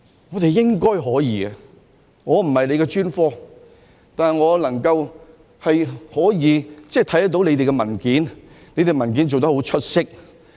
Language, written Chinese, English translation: Cantonese, 我們應該可以的，我不是這個專科，但我看到它們的文件，它們的文件是做得很出色。, We should be able to do so . I am not an expert in this field but I have read their papers which are presented remarkably